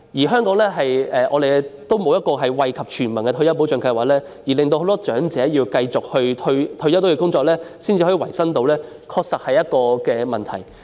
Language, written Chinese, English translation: Cantonese, 香港也沒有惠及全民的退休保障計劃，令很多長者退休後要繼續工作維生，的確是一個問題。, Moreover Hong Kong does not have a universal retirement protection scheme to benefit all members of the public making it necessary for elderly people to go on working after retirement to make a living . This is a problem indeed